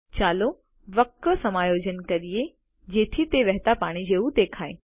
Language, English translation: Gujarati, Lets adjust the curve so that it looks like flowing water